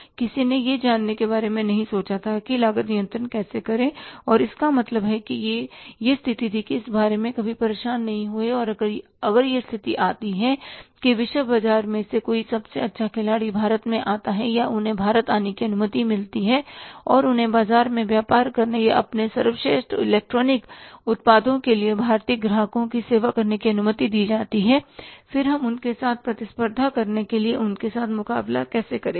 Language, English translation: Hindi, Second thing is the difference in the price was also not very significant because nobody cared for the cost control nobody thought of say learning about that how to go for the cost control and if say miss the situation they never even bothered about that if the situation comes that if some best player in the world market comes up to India or they are allowed to come to India and they are allowed to do the business in the Indian market or serve the, say, Indian customers with their best electronic products, then how would we compete with them or face the competition put forward by them